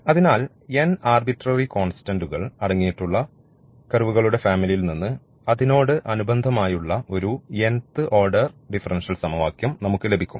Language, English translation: Malayalam, So, the from a given family of curves containing n arbitrary constants we can obtain nth order differential equation whose solution is the given family